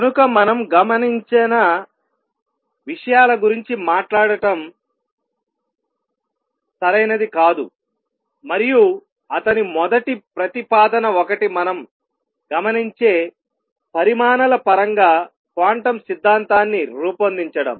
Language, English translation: Telugu, So, it is not proper to talk about things that we do not observe, and his first proposal one was formulate quantum theory in terms of quantities that we observe